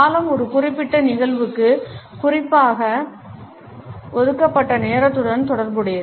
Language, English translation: Tamil, Duration is related with the time which is formally allocated to a particular event